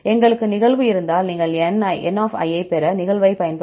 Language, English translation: Tamil, If we have the occurrence you can use the occurrence to get n